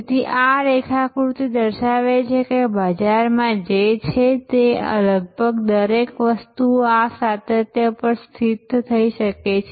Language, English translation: Gujarati, So, this diagram shows that almost everything that is there in the market can be positioned on this continuum